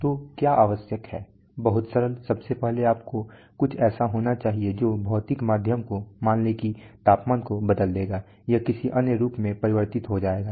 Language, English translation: Hindi, So what is necessary very simple first of all you need something which will convert the physical medium let us say temperature, it will convert into some other form